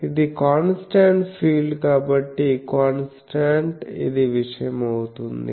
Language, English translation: Telugu, This is a constant field so, constant for that this becomes the thing